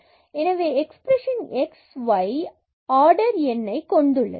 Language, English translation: Tamil, So, an expression in xy is homogeneous of order of order n there